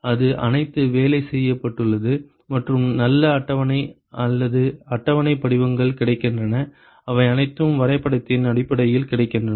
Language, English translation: Tamil, It has all it has all been worked out and nice table or tabular forms are available, they are all available in terms of graph